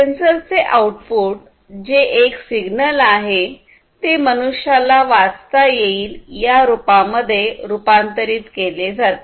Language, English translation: Marathi, So, the output of the sensor is a signal which is converted to some human readable form